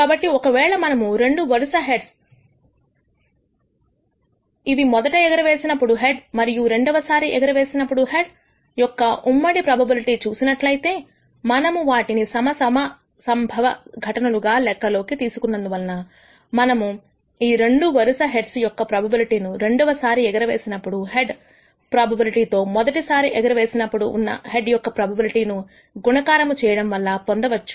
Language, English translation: Telugu, So, if we look at the joint probability of two successive heads which is the head in the first toss and the head in the second toss, because we consider them as independent events we can obtain the probability of this two successive heads as a probability in the first toss of head in the first toss multiplied by the probability of head in the second toss which is 0